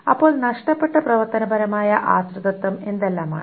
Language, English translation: Malayalam, So what are the functional dependencies that is lost